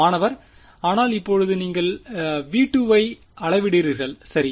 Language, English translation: Tamil, But that is now you are measuring v 2 right